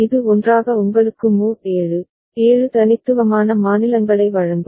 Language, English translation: Tamil, Together it will give you mod 7, 7 unique states right